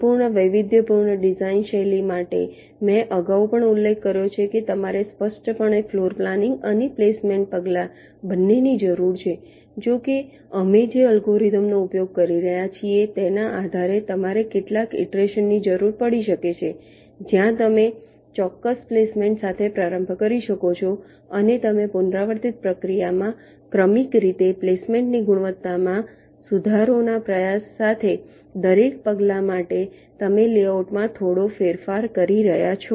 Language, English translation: Gujarati, i mentioned earlier also that explicitly you require both the floorplanning and the placement steps, that, however, depending on the algorithm that we are using, you may need several iterations, where you may start with a particular placement and you try to successively improve the quality of the placement in an iterative process, for a step